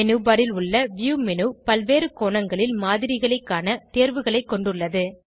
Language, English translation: Tamil, View menu on the menu bar, has options to view the model from various angles